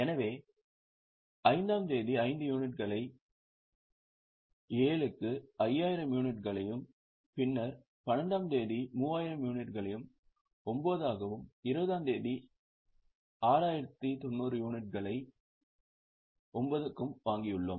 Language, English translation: Tamil, On date fifth, we have purchased 5,000 units at 7, then 12th, 3,000 units at 9 and then on 20th 6,900 units at 9